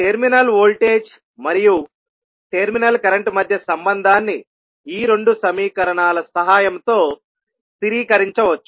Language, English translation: Telugu, The relationship between terminal voltage and terminal current can be stabilised with the help of these two equations